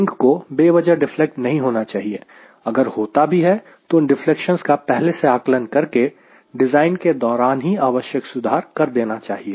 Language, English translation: Hindi, so the wing should not deflate unnecessarily or whatever deflections are there, we should be able to estimate it and apply appropriate corrections right in the design